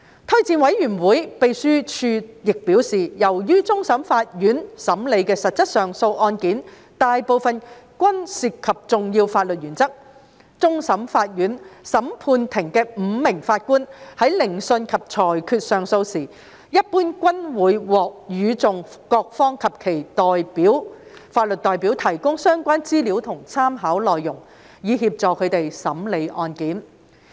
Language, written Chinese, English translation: Cantonese, 推薦委員會秘書亦表示，由於終審法院審理的實質上訴案件大部分均涉及重要法律原則，終審法院審判庭的5名法官在聆訊及裁決上訴時，一般均會獲與訟各方及其法律代表提供相關資料和參考內容，以協助他們審理案件。, Secretary to JORC has also advised that as most substantive appeal cases before CFA are those involving important legal principles when hearing and determining appeals the five CFA judges will normally be provided with relevant information and references by parties and their legal representatives to facilitate their consideration